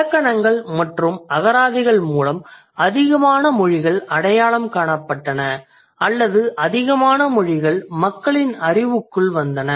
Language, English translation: Tamil, So the grammar and dictionaries, the more languages were identified or more languages came into the knowledge of the people, knowledge of the humans